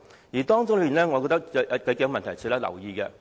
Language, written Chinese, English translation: Cantonese, 關於這點，我覺得有數個問題值得留意。, In this regard I find a few problems noteworthy